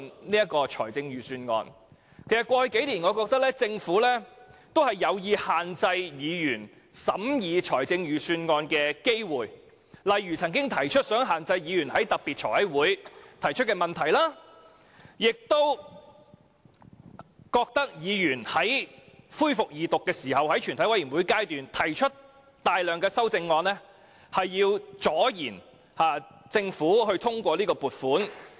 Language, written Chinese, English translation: Cantonese, 我認為，在過去幾年，政府有意限制議員審議預算案的機會，例如當局曾表示有意限制議員在財務委員會特別會議上提出的問題；並表示議員在恢復二讀及全體委員會審議階段提出大量修正案，是要阻延撥款通過。, In my view in the past few years the Government has intentionally limited the chances for Members to scrutinize the Budget . For example the authorities have indicated their intention to restrict the number of questions put by Members at the special meetings of the Financial Committee; they have also accused Members of delaying the passing of the Vote on Account by proposing a large number of amendments after the resumption of Second Reading and during the Committee stage